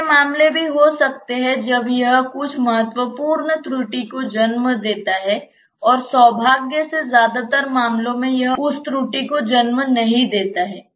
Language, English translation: Hindi, There may be cases when this gives rise to some significant error and fortunately in most cases it does not give rise to that much error